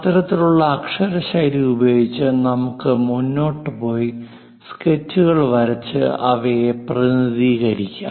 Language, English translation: Malayalam, So, with that kind of lettering style, we can go ahead and draw sketches and represent them